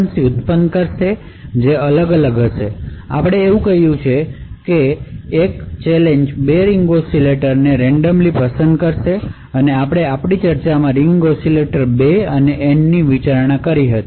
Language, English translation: Gujarati, Now as we mentioned, what is done is that a challenge would actually pick 2 ring oscillators at random, so we had considered in our discussion the ring oscillator 2 and N